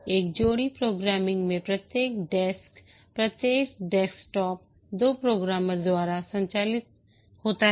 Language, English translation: Hindi, In a pair programming, each desktop is manned by two programmers